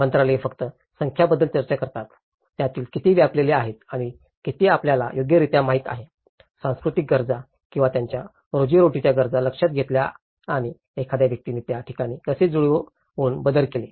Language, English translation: Marathi, The ministries only talk about the numbers, how many of them are occupied and how many are there adequately you know, addressed the cultural needs or their livelihood needs and how a person have adapted and modified it these places